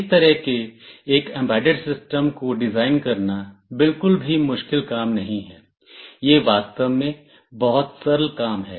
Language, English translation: Hindi, Designing such an embedded system is not at all a difficult task, it is very simple in fact